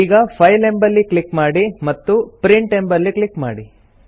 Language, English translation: Kannada, Now click on the File option and then click on Print